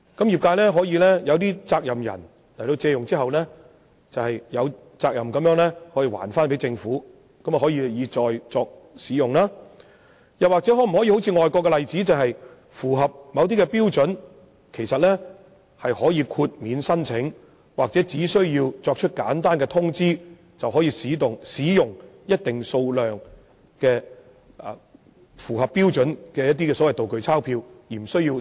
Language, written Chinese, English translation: Cantonese, 業界可以通過某些責任人借用，然後再歸還政府供日後使用；第二，是參考外國例子，若業界符合某些標準，便可以豁免手續繁複的申請，或只須作簡單通知後，便可以使用一定數量符合標準的"道具鈔票"。, Designated persons of the industry can borrow the replica banknotes for use and then return them to the Government . The second proposal is based on overseas practices . Companies in the industry that can meet certain standards can be exempted from the complicated application formalities or are only required to make a simple notification for using a fixed quantity of standard replica banknotes